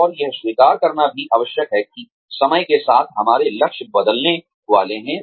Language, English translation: Hindi, And, it is also essential to accept, that our goals are going to change, with the time